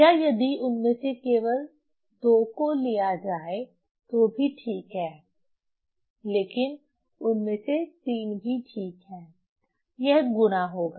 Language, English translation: Hindi, So, or if you just take two of them then also fine, but 3 of them also fine if you multiply